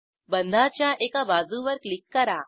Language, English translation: Marathi, Click on one edge of the bond